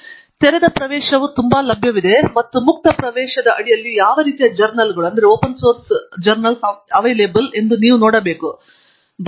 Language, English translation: Kannada, So, open access is very much available and we will see what kind of journals are available under open access